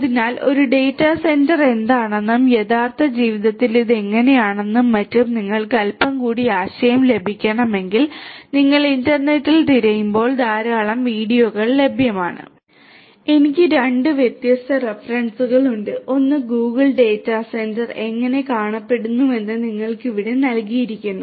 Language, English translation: Malayalam, So, if you want to get little bit more idea about what is a data centre and how it looks like in real life etcetera etcetera, there are plenty of videos that are available if you search in the internet there are two different references that I have given you over here of a Google data centre how it looks like